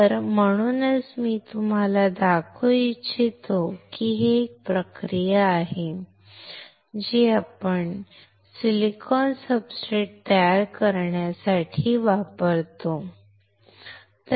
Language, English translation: Marathi, So, that is why I wanted to show it you to you that this is the process which we use to to form the silicon substrate, all right